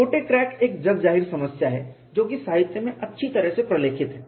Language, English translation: Hindi, Short cracks is a well known problem well documented in the literature